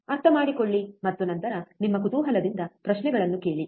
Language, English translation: Kannada, Understand and then out of your curiosity ask questions